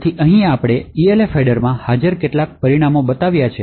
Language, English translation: Gujarati, So, here we have actually said some of the few parameters present in the Elf header